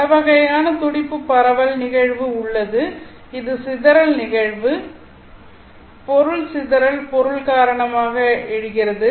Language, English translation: Tamil, There are many different type of pulse spreading phenomenon which is the dispersion phenomenon